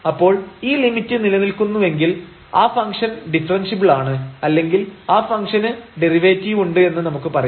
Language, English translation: Malayalam, So, if this limit exists we call that the function has derivative or the function is differentiable because that was equivalent to the differentiability of the function